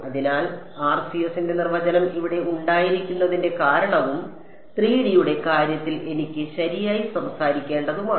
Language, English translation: Malayalam, So, that is the reason why the definition of RCS has this 2 pi over here and in the case of 3 D I have 1 by r so to speak right